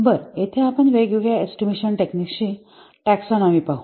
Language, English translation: Marathi, Well, here see a taxonomy of the various estimating methods